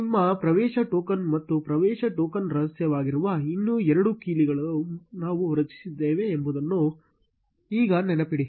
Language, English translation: Kannada, Now remember we had created two more set of keys, which is your access token, and access token secret